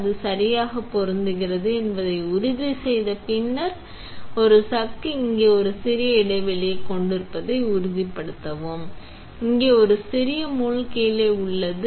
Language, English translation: Tamil, Make sure that its fits correctly and then a chuck here has a small recess and we also have a small pin down here